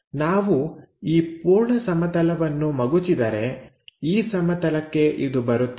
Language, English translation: Kannada, So, if we are flipping that entire plane, it comes to this plane